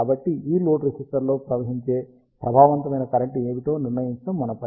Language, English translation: Telugu, So, the job is to determine what is the effective current that flows into this load register